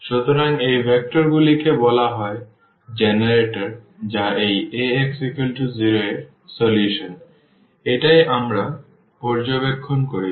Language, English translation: Bengali, So, these vectors they are so called the generators of the solution of this Ax is equal to 0, that is what we have observed